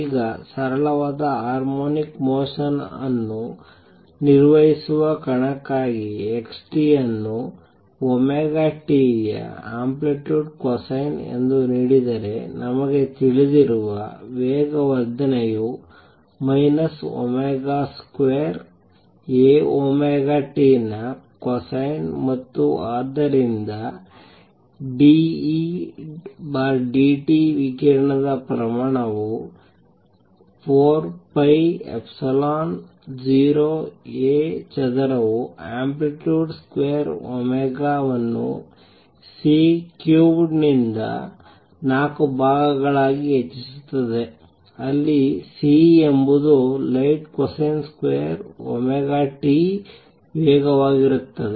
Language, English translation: Kannada, So, if x t is given as amplitude cosine of omega t, the acceleration we know is minus omega square A cosine of omega t, And therefore d E d t, the rate of radiation would become 2 thirds e square over 4 pi epsilon 0, A square is the amplitude square omega raise to 4 divide by C cubed where C is the speed of light cosine square omega t